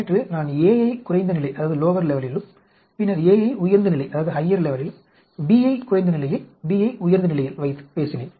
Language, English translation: Tamil, Like yesterday, I talked about a at lower level, then a at higher level, b at lower level, b at higher levels